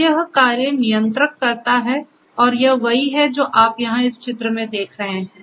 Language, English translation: Hindi, So, this is what this controller does and this is what you see over here in this picture as well